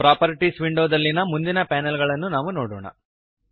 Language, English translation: Kannada, Lets see the next panels in the Properties window